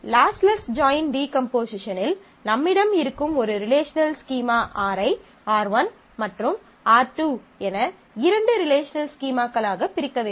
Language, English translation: Tamil, So, in the lossless join decomposition, the problem is say that you have a relational scheme R and you are trying to divide that into two relational schemes R1 and R2